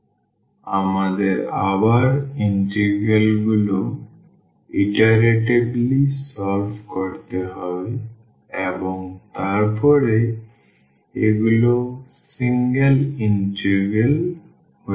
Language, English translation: Bengali, So, we have to again iteratively solve the integrals like and then these becomes single integrals